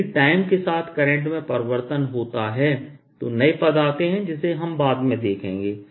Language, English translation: Hindi, if current changes with time, new terms come in which we'll see later